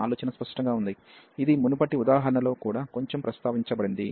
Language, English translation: Telugu, The idea is clear which was also mentioned in previous example a bit